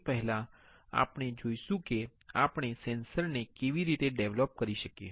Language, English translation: Gujarati, Before that, we will see how we can develop the sensors